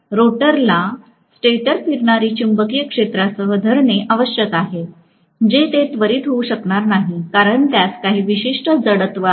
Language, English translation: Marathi, The rotor has to catch up with the stator revolving magnetic field, which it will not be able to do right away because it has certain inertia